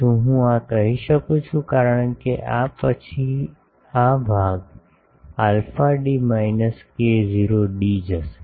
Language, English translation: Gujarati, Can I say this, because then this part will go alpha d minus k not d